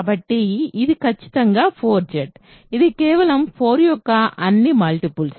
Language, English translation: Telugu, So, this is precisely 4Z right, this is simply all multiples of 4 ok